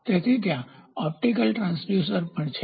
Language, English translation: Gujarati, So, there are optical transducers also there